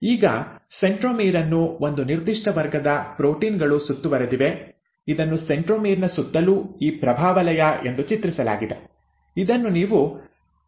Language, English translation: Kannada, Now the centromere is also surrounded by a certain class of proteins, which is depicted as this halo around a centromere, which is what you call as the kinetochore